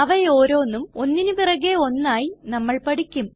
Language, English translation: Malayalam, We will learn about each one of them one by one